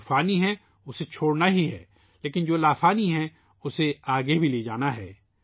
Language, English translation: Urdu, That which has perished has to be left behind, but that which is timeless has to be carried forward